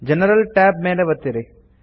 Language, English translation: Kannada, Click on the General tab